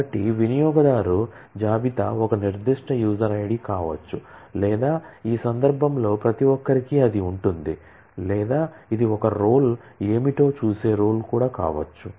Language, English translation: Telugu, So, user list could be a specific user ID or you could say public which in this case everybody will have that or this could be a role which will see, what a role is